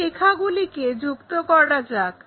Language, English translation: Bengali, Let us join these lines